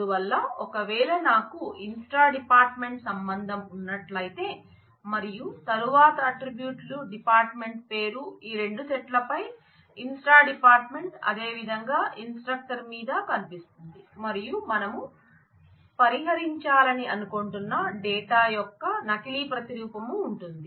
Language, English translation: Telugu, So, if I have the inst dept relation and then the attribute department name appears on both these sets, inst dept as well as on the instructor and there is duplication replication of the data which we want to avoid